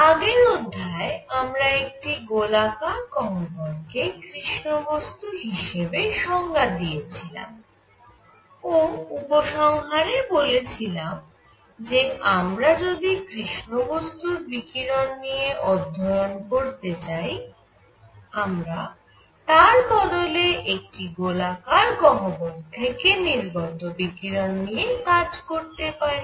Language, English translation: Bengali, In the previous lecture we defined black body as a spherical cavity, and concluded that if I want to study black body radiation I can study the radiation coming out of a spherical cavity